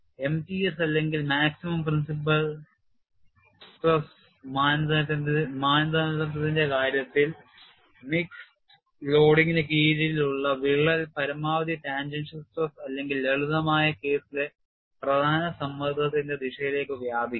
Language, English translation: Malayalam, In the case of m t s or maximum principle stress criterion, crack under mixed loading will extend in the direction of maximum tangential stress or the principle stress in the simplistic case and it is very easy to see